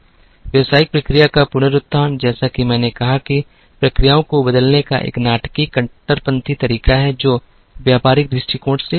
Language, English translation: Hindi, Business process reengineering as I said is a dramatic radical way of changing the processes, wholly from a business perspective